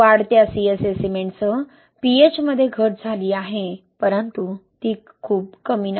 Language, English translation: Marathi, So yes, reduction in pH with increasing CSA cement but it is not too low